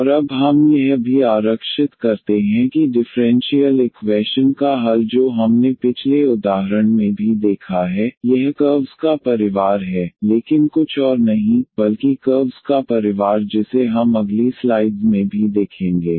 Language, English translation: Hindi, And now what we also reserve that the solution of the differential equation which we have also seen in the previous example, it is the family of curves nothing, but nothing else, but the family of curves which we will also observe in next slides